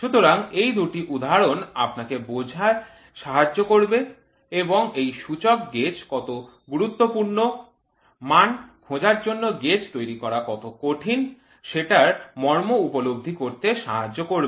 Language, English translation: Bengali, So, these two are examples which you should try understand and appreciate how important is this indicator gauges, how difficult is to make a gauge for finding out the dimension